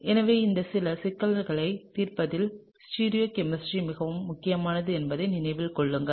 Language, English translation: Tamil, So, keep in mind that, stereochemistry is quite important in solving some of these problems